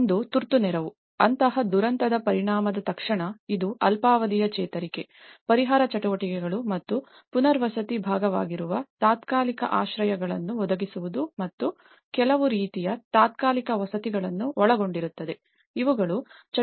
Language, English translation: Kannada, One is the emergency aid, immediately after the effect of disaster like, it could involve short term recovery, the relief activities and the provision of temporary shelters which is a part of the rehabilitation and also some kind of temporary housing, these are the activities which looked into under this category